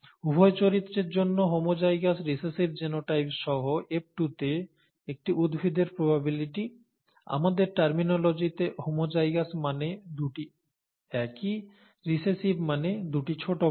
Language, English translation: Bengali, The probability of a plant in F2 with homozygous recessive genotype for both characters, ‘homozygous’ both the same, ‘recessive’ both small letters in our terminology